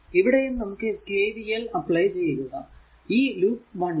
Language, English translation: Malayalam, So, here also now you have to apply KVL in loop one